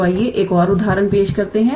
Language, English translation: Hindi, So, let us work out and another example